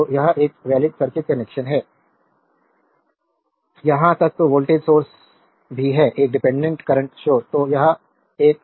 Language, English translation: Hindi, So, it is a valid circuit connection there, even voltage source is there, one dependent current sources